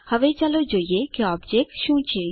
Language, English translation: Gujarati, Now let us see what an object is